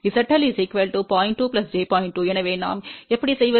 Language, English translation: Tamil, 2, so how do we do